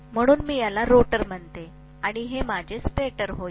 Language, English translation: Marathi, So I call this as the rotor and this is going to be my stator